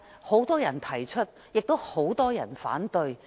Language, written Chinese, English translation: Cantonese, 很多人也提出推行租管，亦有很多人反對。, While many people have proposed the implementation of tenancy control many others still raise objection